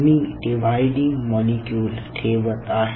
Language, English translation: Marathi, so i am just putting that dividing molecules